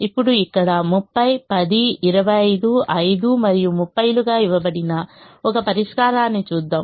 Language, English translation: Telugu, now let us look at a solution which is given here: thirty ten, twenty five, five and thirty